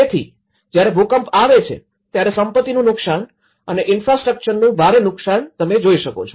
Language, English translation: Gujarati, So, when an earthquake hits, loss of property damage and you know huge infrastructure damage that is what one can witness